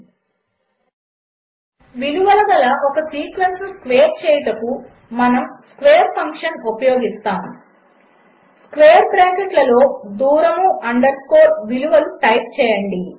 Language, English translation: Telugu, To square a sequence of values, we use the function square So that we have to Type square within bracket distance underscore values 2